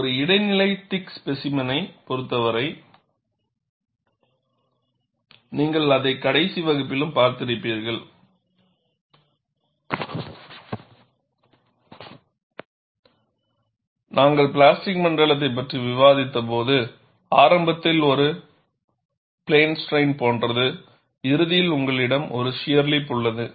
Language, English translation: Tamil, You see, for an intermediate thickness specimen, you would also have seen it in the last class, when we discussed plastic zone, initially it is like a plane strain, and towards the end, you have a shear lip